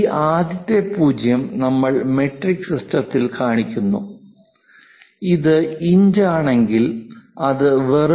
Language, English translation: Malayalam, This leading 0, we show it in metric system, if it is inches it will be just